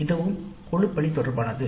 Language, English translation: Tamil, This is also related to teamwork